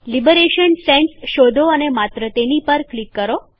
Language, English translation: Gujarati, Search for Liberation Sans and simply click on it